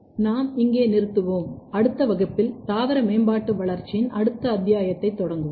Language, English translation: Tamil, So, this way we will stop here and in next class, we will start next chapter of plant development